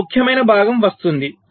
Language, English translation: Telugu, ok, fine, now comes the important part